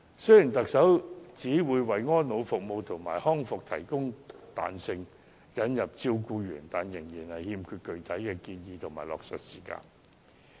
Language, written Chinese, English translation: Cantonese, 雖然特首表示會為安老服務和康復服務提供彈性，並引入照顧員，但具體建議和落實時間均欠奉。, Although the Chief Executive said that flexibility would be given to elderly care and rehabilitation services and that carers would be introduced there are still no specific recommendations and implementation timetable